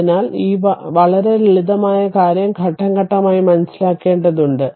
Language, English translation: Malayalam, So, this simple thing very simple thing only you have to understand step by step